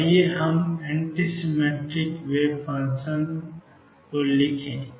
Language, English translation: Hindi, So, let us write for anti symmetric wave function